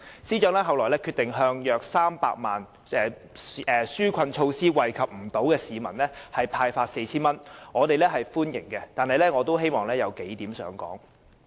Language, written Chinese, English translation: Cantonese, 司長其後決定向約300萬名未能受惠於紓困措施的市民派發 4,000 元，我們歡迎有關的決定，但我仍想提出數點。, The Financial Secretary subsequently decided to hand out 4,000 to each of the 3 million eligible members of the public who are unable to benefit from the relief measures and we welcome this decision . But still I would like to highlight a few points